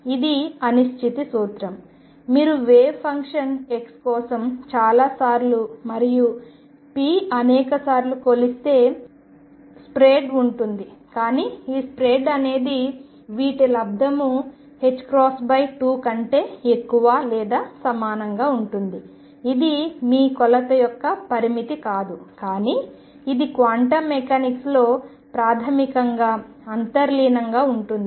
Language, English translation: Telugu, And this is the uncertainty principle, which says that if you measure for a wave function x many many times and p many many times there will be a spread, but the spread is going to be such that it is product will be greater than or equal to h cross by 2, it is not a limitation of your measurement, but this is fundamentally inherent in quantum mechanics